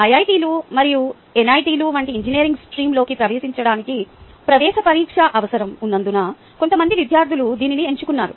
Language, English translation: Telugu, there are some students who have picked this up because of a need of an entrance exam to get into engineering stream itself, such as the iits and so on